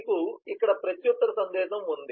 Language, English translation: Telugu, you have a reply message here